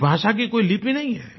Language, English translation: Hindi, This language does not have a script